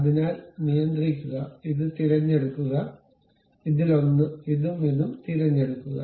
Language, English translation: Malayalam, So, control, pick this one, this one, this one and also this one